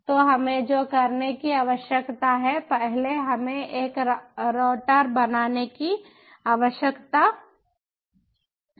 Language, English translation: Hindi, so what we need to do is, first, we need to create a router